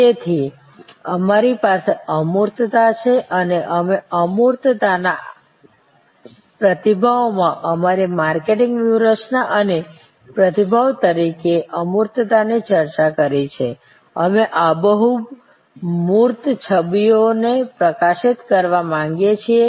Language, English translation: Gujarati, So, we have intangibility and we have discussed intangibility as our response as our marketing strategy in response to intangibility, we would like to highlight vivid tangible images